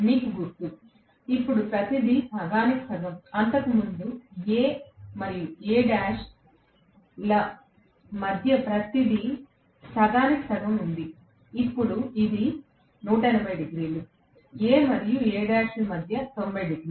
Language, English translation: Telugu, You remember, now everything is halved, everything is halved previously between A and A dash it was 180 degrees now, between A and A dash it is 90 degrees